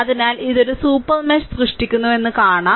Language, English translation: Malayalam, So, so for this is a super mesh I told you